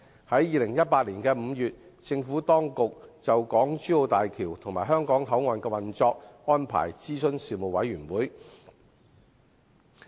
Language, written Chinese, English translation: Cantonese, 在2018年5月，政府當局就港珠澳大橋及香港口岸的運作安排諮詢事務委員會。, In May 2018 the Administration consulted the Panel on the operational arrangements for the HZMB and the Hong Kong Port